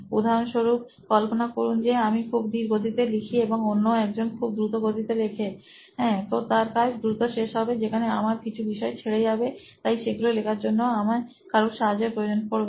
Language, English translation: Bengali, For example imagine I am a slow writer and someone is a fast writer, he completes the things fast, I might skip out some topics, right, so I might need to write those things second